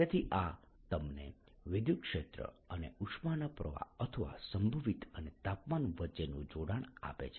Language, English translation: Gujarati, so this gives you a connection between electric field and the heat flow or the potential and the temperature